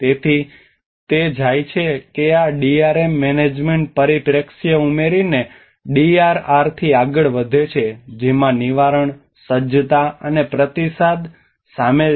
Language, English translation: Gujarati, So it goes that this DRM goes beyond the DRR by adding a management perspective which involves prevention, mitigation, preparedness, and with response